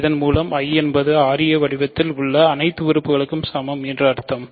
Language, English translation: Tamil, So, by this I mean I is equal to all elements of the form ra where r is in R